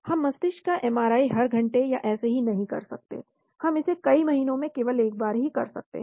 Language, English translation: Hindi, We cannot keep on doing MRI of the brain every hour or something, we might be able to do it only once in several months